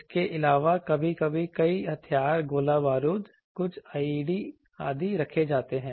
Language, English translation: Hindi, Also sometimes many arms ammunitions, some IEDs etc